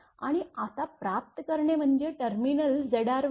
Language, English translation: Marathi, And receiving inside it is terminal Z r